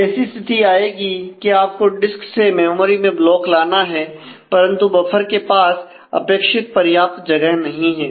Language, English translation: Hindi, So, you will come to a situation, where we need to bring a block from the disk to the memory, but the buffer does not have enough space